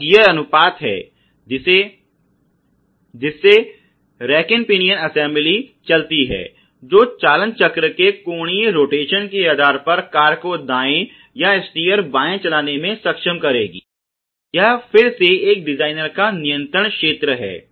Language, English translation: Hindi, So, the gear ratio which is about the way that you know the rack pinion assembly would move which would enable the car to steer right or steer left based on the angular rotation of the steering wheel, this is again a designer’s control domain